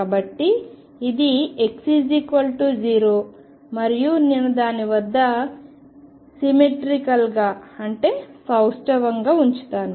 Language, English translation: Telugu, So, this is x equals 0 and I will put it is symmetrically about it